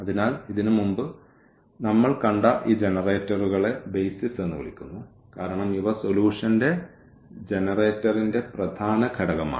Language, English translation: Malayalam, So, these generators which we have just seen before these are called the BASIS because these are the main component that generator of the solution